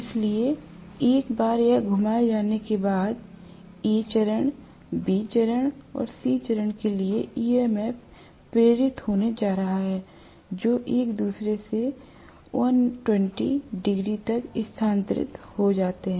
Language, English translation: Hindi, So, once this is rotated, I am going to have A phase, B phase and C phase having induced EMFs, which are time shifted from each other by 120 degrees